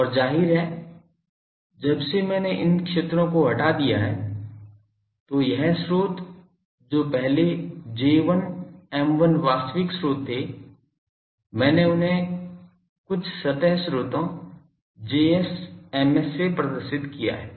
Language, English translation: Hindi, And obviously, since I have removed these so the fields this sources which was earlier J1, M1 actual sources I have represent them with some surface sources Js, Ms here